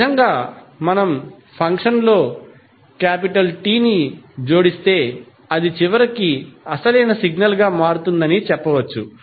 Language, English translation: Telugu, So, in this way we can say if we add capital T in the function, it will eventually become the original signal